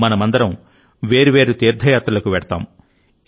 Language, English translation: Telugu, All of us go on varied pilgrimages